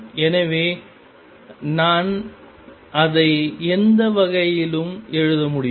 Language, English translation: Tamil, So, I can write it either way